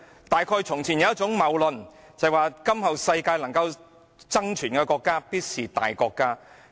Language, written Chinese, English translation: Cantonese, 大概從前有一種謬論，就是'在今後世界能夠爭存的國家，必定是大國家'。, Probably because there used to be a fallacy that only great powers can survive in the future